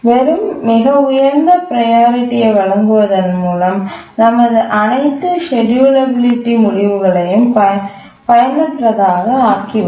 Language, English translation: Tamil, Because simply giving it a highest priority that will make our all the schedulability results unusable